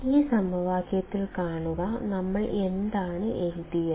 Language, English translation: Malayalam, See in this equation; what we have written